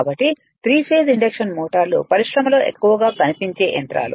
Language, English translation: Telugu, So, 3 phase induction motors are the motor most frequency encountered in industry